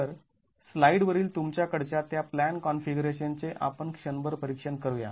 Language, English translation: Marathi, So, let's examine for a moment the plan configuration that you have on the slide